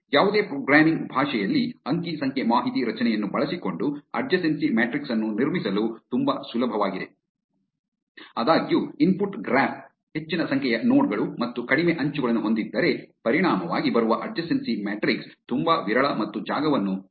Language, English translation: Kannada, Adjacency matrix can be very easy to construct using an array data structure in any programming language; however, if the input graph has high number of nodes and less edges then the resulting adjacency matrix can be very sparse and space consuming